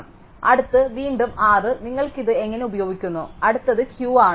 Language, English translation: Malayalam, So, next one again possibly R any one how you use this, the next one is Q and so on